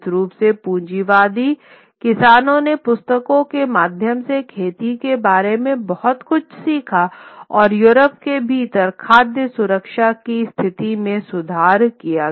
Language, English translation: Hindi, Certainly the capitalist farmers learned a lot more about farming through books and improved the food security situation within Europe